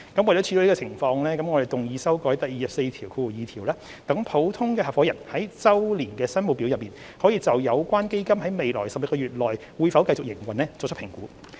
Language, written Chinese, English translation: Cantonese, 為了處理這種情況，我們動議修改第242條，讓普通合夥人在周年申報表內，可以就有關基金在未來12個月內會否繼續營運作出評估。, To address this situation we move to amend clause 242 to enable general partners to make assessment on whether their funds will continue operation in the coming 12 months in the annual return